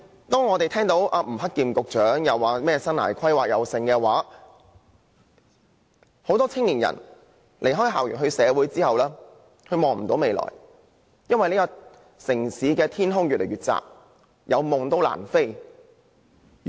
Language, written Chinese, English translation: Cantonese, 當吳克儉局長大談生涯規劃時，其實很多青年人在離開校園投身社會後皆看不見未來，因為這個城市的天空越來越窄，即使有夢想，亦難以起飛追尋。, When Secretary Eddie NG talks heady about life planning many young people can indeed see no future after gradation as the sky keeps shrinking in this city . Even if young people have dreams it is just impossible for them to take off and fulfil their aspirations